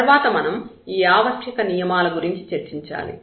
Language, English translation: Telugu, And again then we have to discuss these necessary conditions